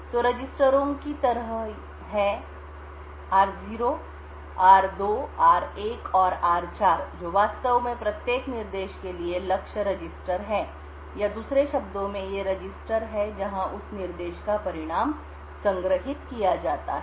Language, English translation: Hindi, So there are like the registers r0, r2, r1 and r4 which are actually the target registers for each instruction or in other words these are the registers where the result of that instruction is stored